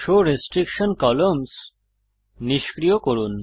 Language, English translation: Bengali, Deactivate Show Restriction columns